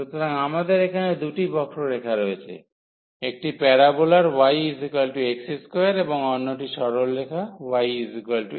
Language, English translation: Bengali, So, we have two curves here: one is the parabola y is equal to x square, and the other one is the straight line y is equal to x